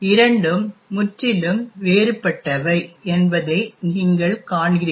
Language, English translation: Tamil, You see that this and this are completely different